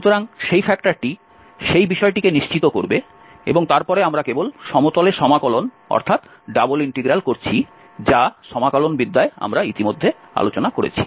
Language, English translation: Bengali, So, that factor will take care that part and then we are simply integrating over the plane, double integral which was already discussed in the integral calculus